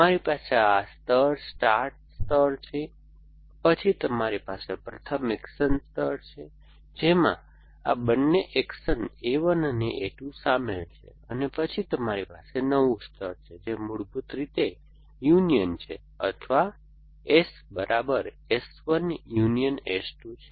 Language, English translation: Gujarati, You have this layer start layer, then you have first action layer which includes both this actions A 1 and A 2 and, then you have layer which is basically the union or will be S, right S 1 union S 2